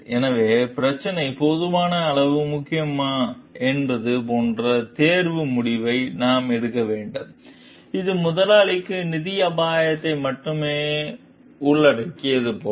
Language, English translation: Tamil, So, we have to take a like decision of choice like whether the issue is sufficiently important, like if it involves only financial risk for the employer